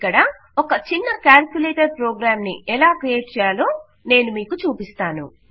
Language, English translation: Telugu, Here, Ill show you how to create a little calculator program